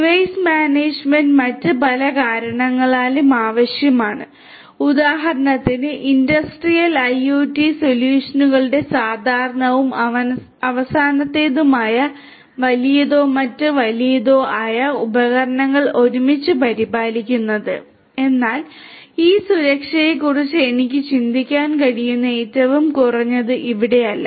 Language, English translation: Malayalam, Device management is also required for several other reasons for example, taking care of large or other huge; huge number of devices together which is typical of industrial IoT solutions and also last, but not the least over here that I can think of is this security